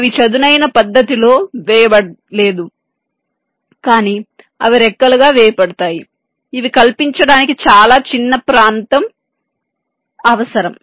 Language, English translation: Telugu, now they are not laid out in a flat fashion but they are laid out as fins which require much smaller area to fabricate